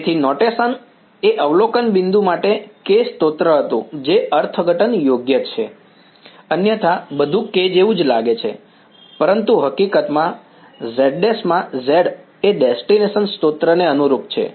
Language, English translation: Gujarati, So, the notation was K source to observation point that is the interpretation right just otherwise everything looks like K, but in fact, the z in the z prime correspond to the source in the destination